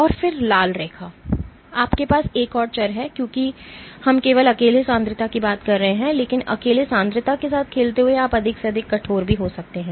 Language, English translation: Hindi, And then the red line, you have another variable because we are called just by the concentration alone, but playing with the concentration alone you can get more and more stiffening also